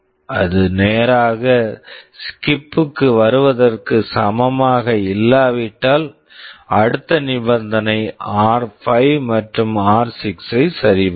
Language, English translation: Tamil, If it is not equal to straight away come to SKIP, then you check the next condition r5 and r6